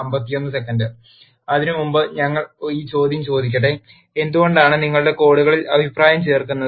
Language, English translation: Malayalam, Before that let us ask this question: why do you add comments to your codes